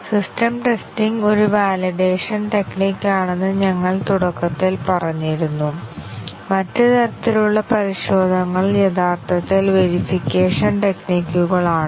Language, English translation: Malayalam, We had at the beginning said that system testing is a validation technique; the other types of testing are actually verification techniques